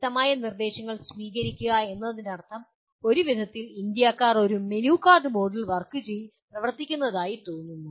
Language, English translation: Malayalam, Receive clear instructions means somehow Indians seem to be operating in a menu card mode